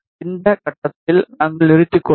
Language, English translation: Tamil, We will stop at this point